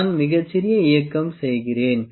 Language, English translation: Tamil, I make a very small movement